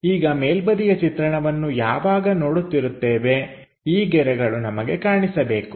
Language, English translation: Kannada, Now top view when we are looking at these lines supposed to be visible